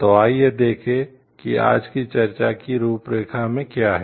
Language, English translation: Hindi, So, let us see what is there in the outlines for today s discussion